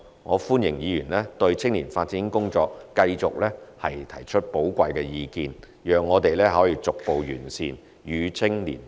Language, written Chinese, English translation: Cantonese, 我歡迎議員對青年發展工作繼續提出寶貴意見，讓我們逐步完善，與青年同行，共創未來。, I welcome valuable suggestions on youth development work from Honourable Members on an ongoing basis so that we may improve progressively and connect with young people to build our future together